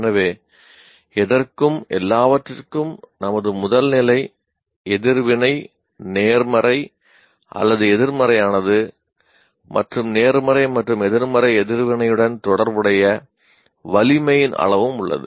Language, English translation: Tamil, So for anything and everything, our first level reaction is positive or negative or and also there is a degree of strength associated with positive and negative reaction